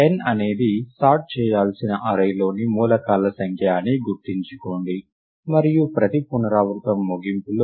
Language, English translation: Telugu, Recall that n is the number of elements in the array that need to be sorted, and at the end of every iteration